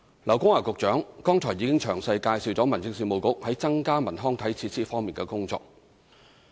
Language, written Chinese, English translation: Cantonese, 劉江華局長剛才已經詳細介紹民政事務局在增加文康體設施方面的工作。, Earlier on Secretary LAU Kong - wah already introduced in detail the work of the Home Affairs Bureau in increasing cultural recreation and sports facilities